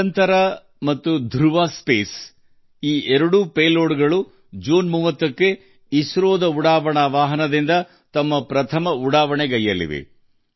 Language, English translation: Kannada, Both Digantara and Dhruva Space are going to make their first launch from ISRO's launch vehicle on the 30th of June